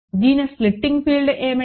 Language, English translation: Telugu, What is the splitting field